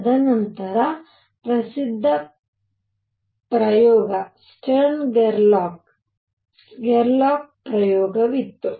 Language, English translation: Kannada, And then there was a famous experiment stern Gerlach, Gerlach experiment